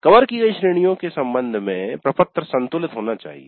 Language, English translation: Hindi, It must be a balanced one with respect to the categories covered